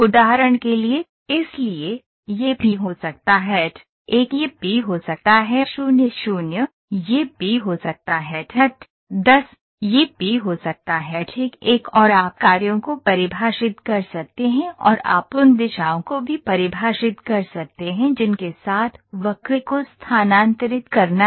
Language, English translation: Hindi, For example, so, this can be P01, this can be P00, this can be P10, this can be P11 and you can define the functions and you also define the directions with which the curve has to moved